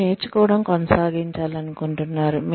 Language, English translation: Telugu, You will want to keep learning